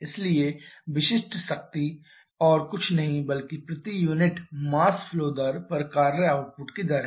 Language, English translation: Hindi, So, specific power is nothing but rate of work output per unit mass flow rate